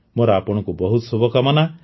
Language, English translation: Odia, I wish you the very best